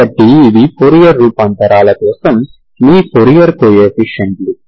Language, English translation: Telugu, So these are your fourier coefficients for fourier transforms